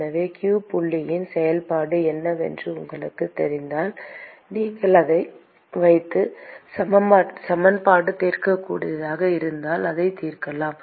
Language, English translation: Tamil, So, if you know what is the function of q dot, you could put that, and you could solve the equation, if it is solvable